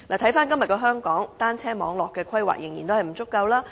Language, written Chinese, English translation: Cantonese, 回看今天的香港，單車網絡規劃仍然不足夠。, Coming back to the present - day Hong Kong we can still see inadequate planning for cycle track networks